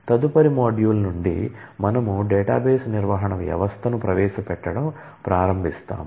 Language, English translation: Telugu, So, from the next module, we will start introducing the database management system